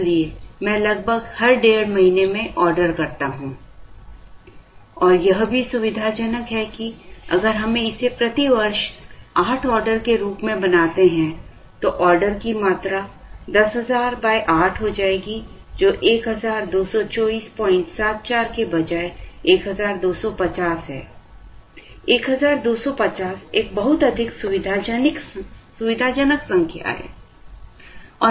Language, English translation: Hindi, So, I order roughly every one and a half months and it is also convenient that, if we make this as 8 orders per year, the order quantity would become 10000 divided by 8, which is 1250, instead of 1224